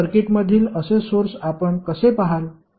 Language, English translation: Marathi, So, how will you see those sources in the circuit